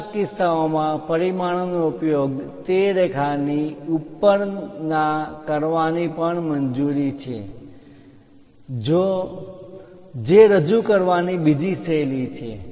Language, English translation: Gujarati, In certain cases, it is also allowed to mention dimension above the line that is another style of representing